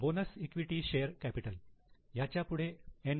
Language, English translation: Marathi, Bonus equity share capital, again N